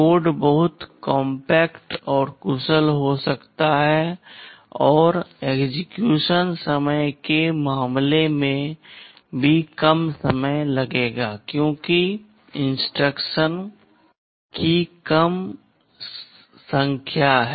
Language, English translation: Hindi, The code can be very compact and efficient, and in terms of execution time will also take less time because there are fewer number of instructions